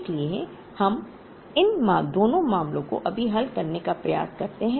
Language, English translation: Hindi, So, we try and address both these cases right now